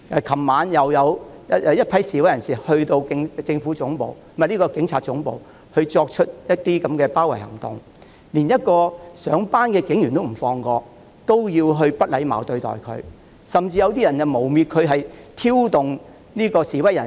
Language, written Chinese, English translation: Cantonese, 昨晚又有一群示威人士前往警察總部，進行包圍行動，他們連一位上班的警員也不放過，要不禮貌對待他，甚至有些人誣衊該警員挑動示威人士。, Last night a group of protesters besieged the Police Headquarters again . They even refused to give way to a policeman going to work and treated him rudely . Some people also smeared the police officer and accused him of provoking the protesters